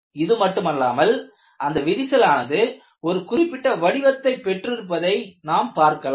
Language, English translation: Tamil, Not only this, when you look at the crack, it also has a particular shape